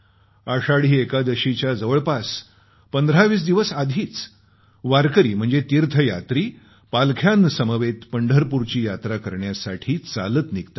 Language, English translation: Marathi, About 1520 days before Ashadhi Ekadashi warkari or pilgrims start the Pandharpur Yatra on foot